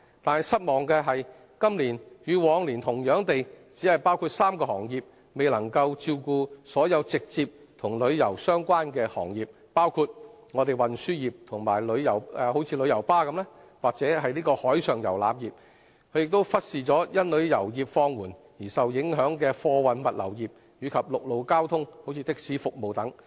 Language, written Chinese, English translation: Cantonese, 但是，失望的是今年與往年同樣只包括3個行業，未能照顧所有直接與旅遊相關的行業，包括運輸業如旅遊巴士和海上遊覽業；政府亦忽視因旅遊業放緩而受影響的貨運物流業，以及陸路交通如的士服務等。, However it is disappointing that as in the past year only three categories of trades and industries are eligible for the fee waiver and the measures proposed fail to address the needs of all trades and industries that are directly related to the tourism industry including the transport sector and marine tourism . The Government has also neglected the plight of the freight and logistics sectors as well as the land transport sector which have also been adversely affected by the slowdown in tourism